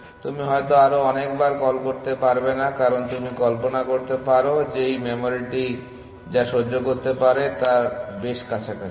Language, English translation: Bengali, You may not do many more recursive calls because you can imagine that it is close to what this memory can tolerate essentially